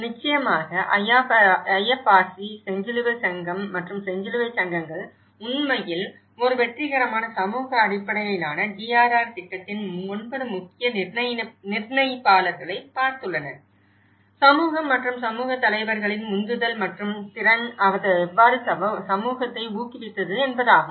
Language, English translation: Tamil, Of course, the IFRC; the Red Cross and Red Crescent Societies have actually looked at the 9 key determinants of a successful community based DRR program; the motivation and capacity of the community and community leaders so, how it has motivated the community